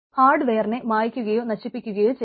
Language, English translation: Malayalam, hardware erasure or destruction